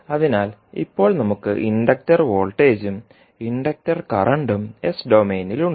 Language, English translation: Malayalam, So, now we have the inductor voltage as well as inductor current in s domain